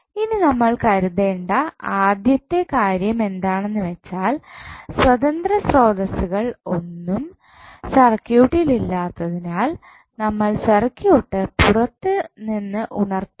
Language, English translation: Malayalam, Now, first things what first thing which we have to consider is that since we do not have any independent source in the circuit we must excite the circuit externally what does it mean